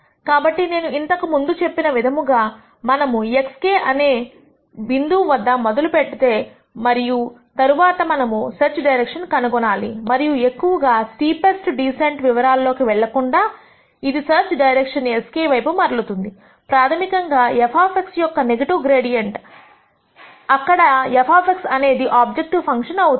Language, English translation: Telugu, So, as I said before, we start at this point x k and then we need to find a search direction and without going into too much detail the steepest descent will turn out to be a search direction s k which is basically the negative of gradient of f of x, where f of x is your objective function